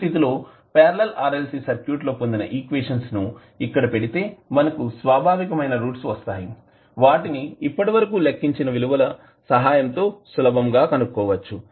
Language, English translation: Telugu, We can apply the equations which we got in case of Parallel RLC Circuit, so characteristic roots we can simply determined with the help of the values which we calculated previously